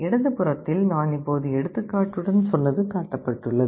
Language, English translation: Tamil, On the left hand side it shows exactly what I just now told with the example